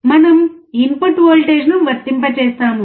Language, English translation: Telugu, We will be applying the input voltage